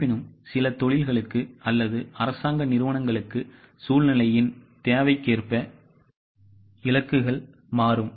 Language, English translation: Tamil, However, for certain industries or for government organizations, as per the need of the scenario, the targets will change